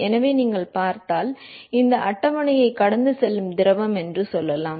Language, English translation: Tamil, So, if you look at; let say fluid which is flowing past this table